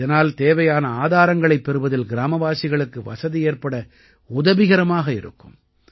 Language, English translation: Tamil, This has further improved the village people's access to essential resources